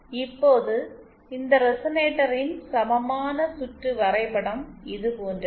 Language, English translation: Tamil, Now the equivalent circuit diagram of this resonator is like this